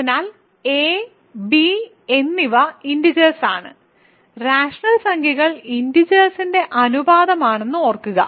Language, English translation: Malayalam, So, a and b are in integer right, remember rational numbers are ratios of integers